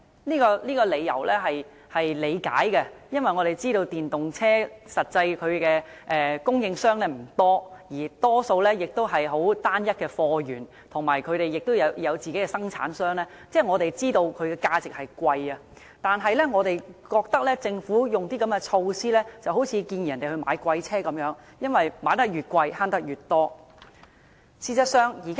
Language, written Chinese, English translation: Cantonese, 我們理解這樣的結果，因為我們知道電動車的供應商其實不多，貨源亦多數單一，而且電動車生產商不多，所以我們知道其價值會較昂貴，但我們認為如果政府推出這樣的措施，便好像是鼓勵人購買昂貴的車輛，因為車輛價錢越昂貴，節省越多。, We can understand why this is the case because we know that there are actually very few EV suppliers and even just a single source of supply . Also the number of EV manufacturers is very small so prices are rather high . But we still have to say that such a government measure is very much like encouraging people to buy expensive cars because the money saved is directly proportional to vehicle prices